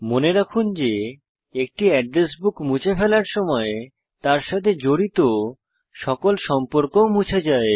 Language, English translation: Bengali, Remember, when you delete an address book all the contacts associated with it are also deleted